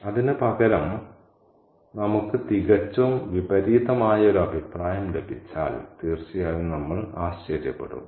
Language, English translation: Malayalam, And instead of that, if we get a totally contrary opinion, then of course we will be surprised